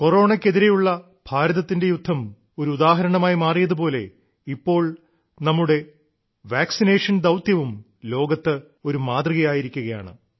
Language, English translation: Malayalam, Just as India's fight against Corona became an example, our vaccination Programme too is turning out to be exemplary to the world